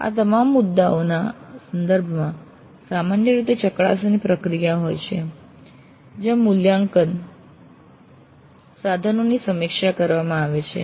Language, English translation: Gujarati, With respect to all these issues usually a scrutiny process exists where the assessment instruments are reviewed